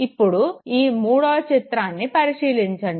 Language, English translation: Telugu, Now look at the third image there